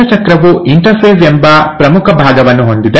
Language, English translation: Kannada, So the cell cycle has the major part which is the interphase